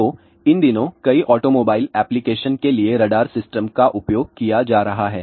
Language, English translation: Hindi, So, these days radar systems are being use for many automobile application